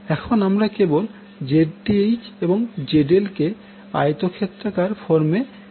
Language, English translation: Bengali, Now, let us represent ZL and Zth in rectangular form